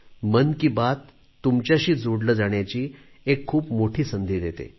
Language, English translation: Marathi, 'Mann Ki Baat' gives me a great opportunity to be connected with you